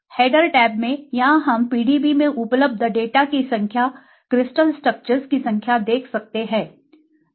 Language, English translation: Hindi, In the header tab here we can see the number of data available in PDB, the number of crystal structures which have been deposited